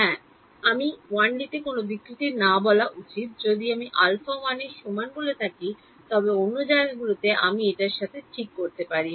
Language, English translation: Bengali, Yes, you should not say any distortion in 1D if I said alpha equal to 1, but other places I have to live with it ok